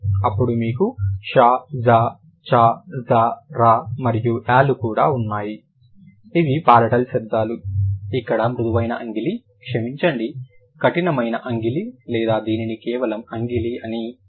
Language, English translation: Telugu, Then you have shr, ch, j, j, and y, and y, that these are the palatal sounds, where the soft palate or, sorry, the heart palate or this is also simply called as palate, that and the tongue